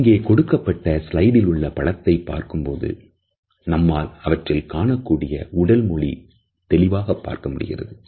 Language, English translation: Tamil, If we look at this particular slide, we would find that the meaning of body language becomes clear to us